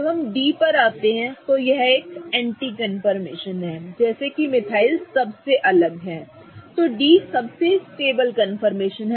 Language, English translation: Hindi, When we come to D, D which is the anti confirmation such that the two metals are farthest apart, D is the most stable confirmation